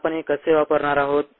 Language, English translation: Marathi, so how ah we going to use this